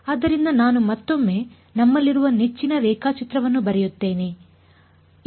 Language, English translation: Kannada, So, what we have I am going to a draw our favourite diagram once again right